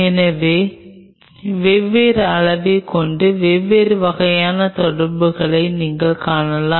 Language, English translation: Tamil, So, with different dosage you can see different kind of interactions which are happening